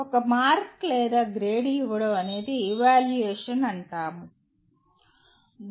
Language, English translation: Telugu, That giving a mark or a grade is considered evaluation